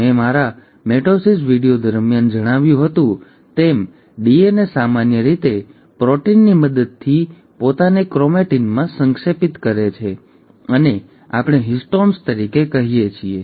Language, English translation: Gujarati, As I had mentioned during my mitosis video, the DNA normally condenses itself into chromatin with the help of proteins which we call as histones